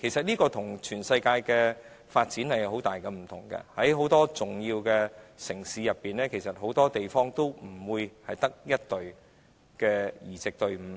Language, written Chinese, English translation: Cantonese, 這跟全球的發展有很大不同，很多重要城市也不會只有1隊移植隊伍。, This is running contrary to global development as there will not be only one transplant team in many major cities